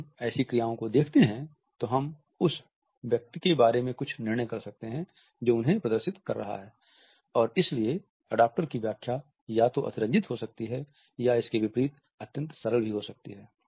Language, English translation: Hindi, At when we view such acts, we may make certain judgments about the person who is displaying them and therefore, the interpretation of an adaptor either may be overstated or it may also be conversely oversimplified